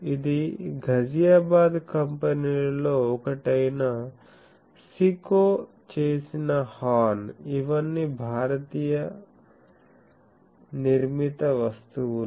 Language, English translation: Telugu, So, this is a horn made by SICO one of the Ghaziabad companies